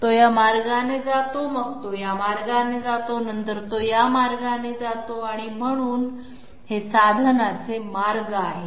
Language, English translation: Marathi, It is going this way, then is going this way, then it is going this way, these are the pathways of the tool